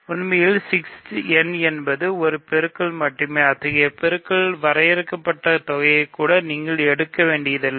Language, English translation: Tamil, In fact, 6 n is just a single product, you do not even have to take finite sum of such products